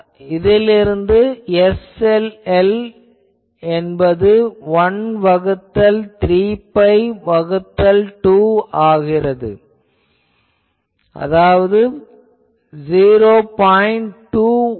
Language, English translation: Tamil, So, from here with this you can say SLL turns out to be 1 by 3 pi by 2 and that is 0